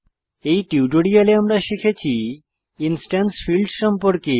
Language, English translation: Bengali, So in this tutorial, we learnt About instance fields